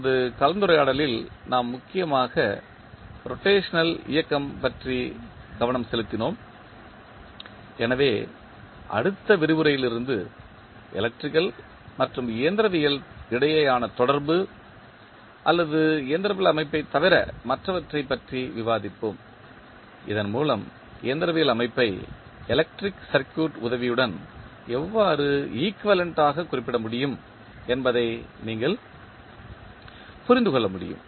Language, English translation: Tamil, In this discussion we mainly focussed about the rotational motion, so from next lecture onwards we will discuss about the correlation between electrical and the mechanical or other than the mechanical system so that you can understand how the mechanical system can be equivalently represented with the help of electrical circuit